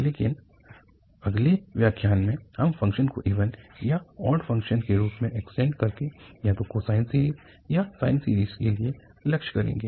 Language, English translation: Hindi, But in the next lecture, we will aim for either for cosine series or for cosine series by extending the function as even or odd function